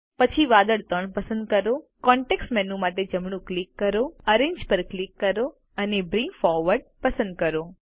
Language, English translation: Gujarati, Then select cloud 3, right click for context menu, click Arrange and select Bring Forward